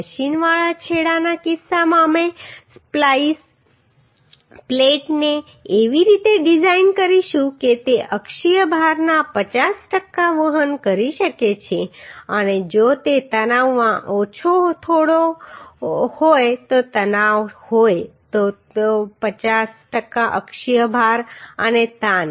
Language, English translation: Gujarati, In case of machined end we will design the splice plate in such a way that it can carry a 50 per cent of the axial load and if some tension is there that tension 50 per cent of the axial load and the tension